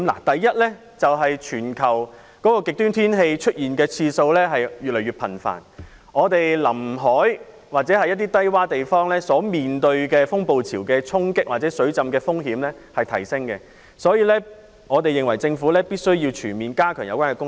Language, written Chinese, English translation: Cantonese, 第一，全球極端天氣出現的次數越來越頻繁，臨海低窪地方面對風暴潮的衝擊或水浸風險提升，因此我們認為政府必須全面加強有關工作。, First the occurrence of global extreme weather has become increasingly frequent and coastal and low - lying locations are faced with an increasing risk of storm surges or flooding . For this reason we consider it necessary for the Government to holistically step up efforts to address these problems